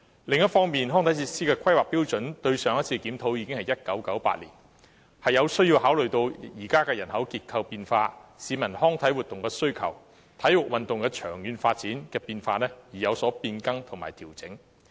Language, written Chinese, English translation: Cantonese, 另一方面，上次檢討康體設施的規劃準則已是1998年的事，因此有需要考慮現時人口結構的變化、市民對康體活動的需求，以及體育運動長遠發展的變化，作出變更及調整。, Besides the last review of the planning standards for recreational facilities was conducted in 1998 . So it is necessary to introduce amendments and adjustments based on changes in the existing population structure peoples demand for recreational activities and also changes in the long - term development of sports activities